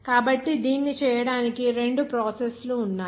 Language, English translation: Telugu, So to make that, there are two processes